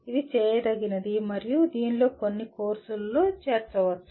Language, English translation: Telugu, This is doable and it can be incorporated into some of the courses